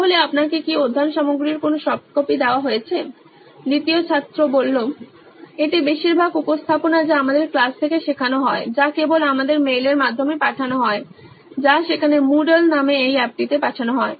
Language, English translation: Bengali, So is there a form of soft copy of this study material that you been given It is mostly the presentations which we are taught from the class that is only sent to us via mail or there send to this app called Moodle